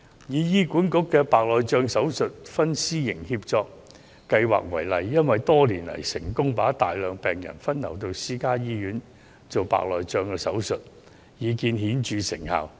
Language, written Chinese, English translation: Cantonese, 以醫管局推行的白內障手術公私營協作為例，多年來成功把大量病人分流到私營醫院進行手術，已見顯著成效。, In the example of HAs public - private partnership programme in the provision of cataract surgeries a large number of patients have been diverted to private hospitals for the surgeries over the years and remarkable effect has already been shown